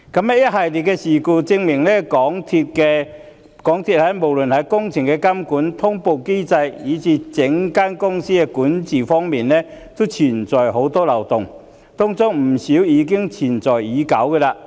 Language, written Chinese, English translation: Cantonese, 一系列的事故證明港鐵公司無論在工程監管、通報機制，以至整體公司管治皆存在眾多漏洞，當中不少存在已久。, The successive incidents are proof that MTRCLs works supervision notification mechanism and even overall corporate governance have been plagued by various loopholes and many of them have long since existed